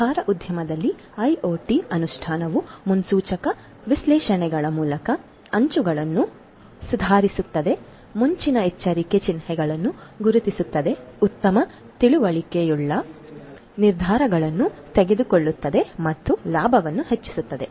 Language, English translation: Kannada, IoT implementation in the food industry can improve the margins through predictive analytics, spotting early warning signs, making well informed decisions and maximizing profits